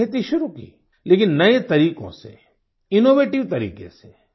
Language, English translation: Hindi, He started farming, albeit using new methods and innovative techniques